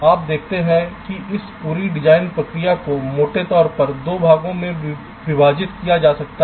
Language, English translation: Hindi, you see, this whole design process can be divided broadly into two parts